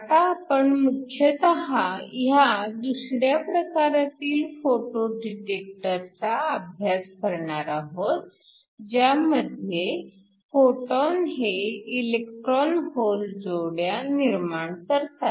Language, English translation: Marathi, Now we will be mainly dealing with the second type of photo detectors, where your photons generate electron hole pairs